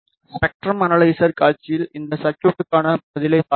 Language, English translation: Tamil, Let us see the response of this circuit on the spectrum analyzer display